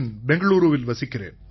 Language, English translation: Tamil, Okay, in Bengaluru